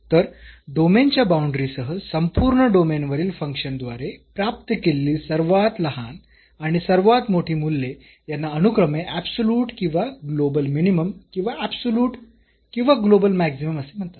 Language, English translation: Marathi, So, the smallest and the largest values attained by a function over entire domain including the boundary of the domain are called absolute or global minimum or absolute or global maximum respectively